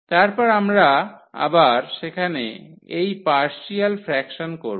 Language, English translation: Bengali, And, then again we will do this partial fractions there